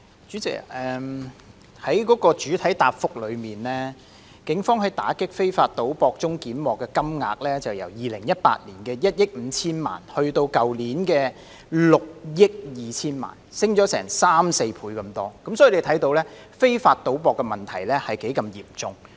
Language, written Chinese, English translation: Cantonese, 主席，根據主體答覆，警方在打擊非法賭博中檢獲的金額，由2018年的1億 5,000 萬元增至去年的6億200萬元，上升了三四倍之多，由此可見非法賭博的問題有多嚴重。, President according to the main reply the amount of cash seized by the Police in its operations against illegal gambling has risen from 150 million in 2018 to 602 million last year which is three or four times demonstrating the seriousness of illegal gambling